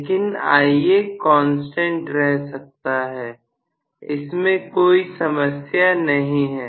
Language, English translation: Hindi, But, Ia can remain as a constant, no problem